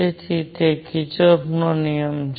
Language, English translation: Gujarati, So, that is Kirchhoff’s rule